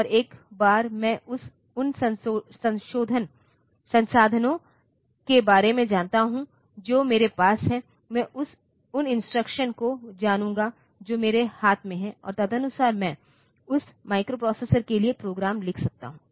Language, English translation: Hindi, And once I know that I will know about the resources that I have I will know the instructions that I have in my hand, and accordingly I can write down the programs for that microprocessor